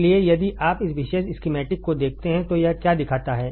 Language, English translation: Hindi, So, if you see this particular schematic, what does it show